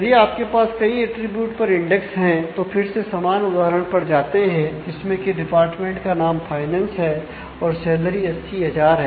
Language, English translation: Hindi, So, when you have index on multiple attributes say again going back to that same example of department naming finance and salary being 80000